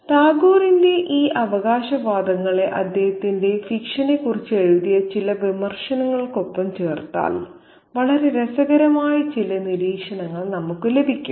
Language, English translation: Malayalam, Now, if we put these claims of Tegor alongside some of the criticisms that have been written about his fiction, we get some very interesting observations